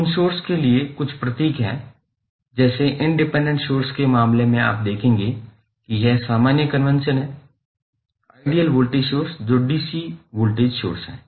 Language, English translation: Hindi, There are certain symbols specified for those sources say in case of independent sources you will see this is the general convention followed for ideal voltage source that is dc voltage source